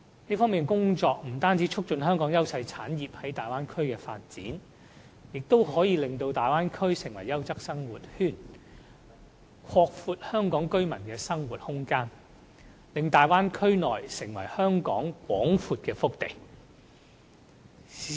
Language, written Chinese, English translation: Cantonese, 這方面的工作，不但可以促進香港優勢產業在大灣區的發展，亦會令大灣區成為優質生活圈，拓闊香港居民的生活空間，使大灣區成為香港廣闊的腹地。, This will not only foster the development of Hong Kong industries in the Bay Area but will also turn the Bay Area into a quality living circle and a vast hinterland of Hong Kong thus broadening Hong Kong peoples living space